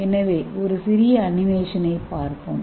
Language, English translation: Tamil, So let us see a small animation